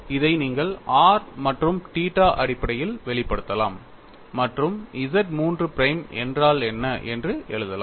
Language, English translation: Tamil, And you can express this in terms of r n theta and write out what is Z 3 prime